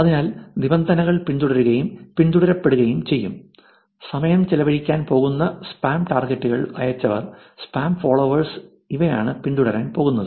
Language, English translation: Malayalam, So, the terms are going to be follower, following, spam targets where time is going to be spent, sent, spam followers, those are the ones which are going to be following